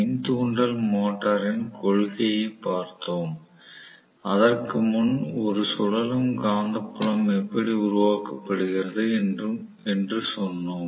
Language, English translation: Tamil, We, looked at the principle of the induction motor, before which we said what is a revolving magnetic field how it is created